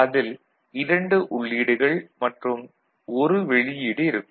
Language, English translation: Tamil, So, 1, 2 is the input and 3 is the output